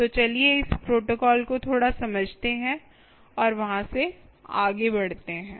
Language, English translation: Hindi, so let us see understand a little bit of this protocols and move on from there